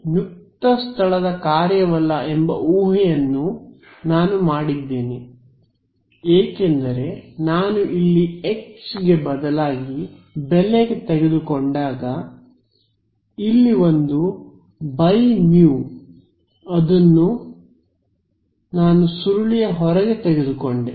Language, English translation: Kannada, I have also made the assumption that mu is not a function of space, because when I substituted for H over here there was a one by mu over here which I took outside the curl right